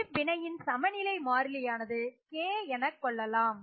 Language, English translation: Tamil, And let us say the equilibrium constant for this is given by K